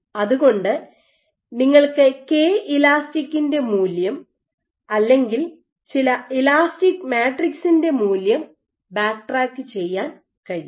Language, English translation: Malayalam, So, you can backtrack this value of Kel or some elastic matrix